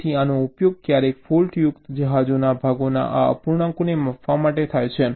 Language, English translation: Gujarati, ok, so this is sometimes used to measure this fraction of ships, parts that are defective